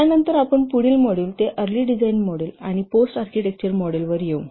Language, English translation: Marathi, Then we'll come to the next model, that already designed model and the post architecture model